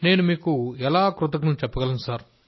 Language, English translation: Telugu, And how can I thank you